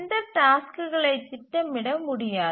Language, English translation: Tamil, We cannot schedule this task set